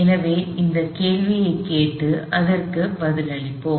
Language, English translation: Tamil, So, let us ask if that question and answer it